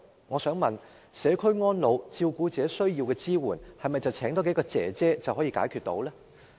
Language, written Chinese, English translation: Cantonese, 我想問社區安老和照顧者所需要的支援，是否多聘請幾名外傭便可解決？, May I ask if the support required by elderly community care services and carers can be secured by employing a few more foreign domestic helpers?